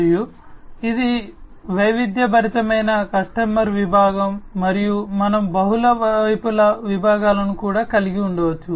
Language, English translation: Telugu, And this is diversified customer segment and we can also have multi sided segments